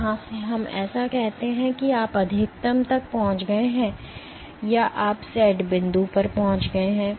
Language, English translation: Hindi, From here let us say so and you have reached the maximum or you have reached the set point